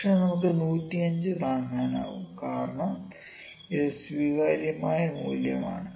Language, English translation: Malayalam, We can afford 105 it is an acceptable 105 acceptable